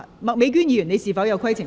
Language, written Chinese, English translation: Cantonese, 麥美娟議員，你是否有規程問題？, Ms Alice MAK do you have a point of order?